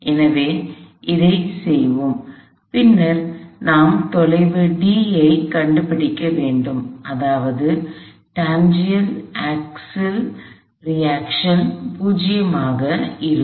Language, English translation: Tamil, So, let us do that and then we also need to find the distance d such that the tangential axle reaction will be 0